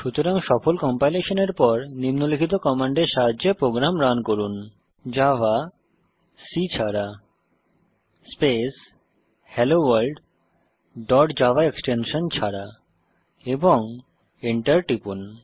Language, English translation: Bengali, So After successful compilation, run the program using the command, java space HelloWorld and hit Enter